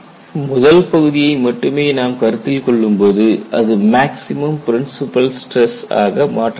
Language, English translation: Tamil, When I consult only the first term, this boils down to principle stress, maximum principle stress